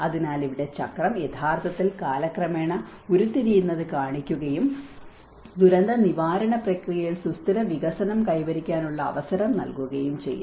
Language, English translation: Malayalam, So, here the cycle actually shows the unfolding over time and offer the opportunity of achieving sustainable development in the disaster management process